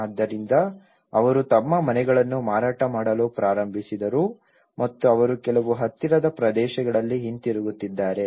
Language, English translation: Kannada, So, they started selling their houses and they are going back to some nearby areas